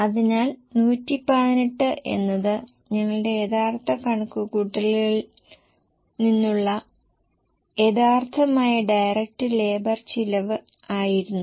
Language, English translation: Malayalam, So, 118 was the original direct labor from our original calculation